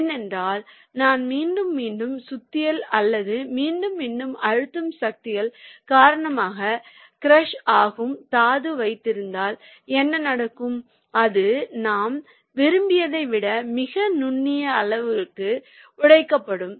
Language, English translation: Tamil, because what will happen if i have a very friable ore and in the cone crusher, because of repeated hammering or repeated compressive forces, the it will be broken down to very fine sizes than what we desired